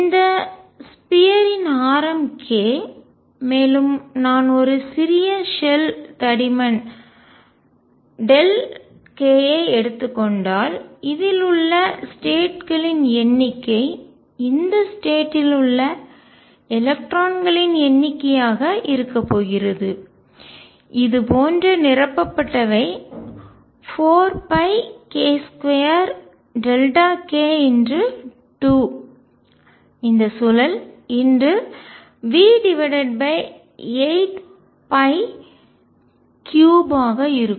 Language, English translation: Tamil, And this sphere of radius k if I take a small shell of thickness delta k, the number of states in this is going to be number of electrons in these state such are going to be such are occupied is going to be 4 pi k square delta k times 2 for this spin times v over 8 pi cubed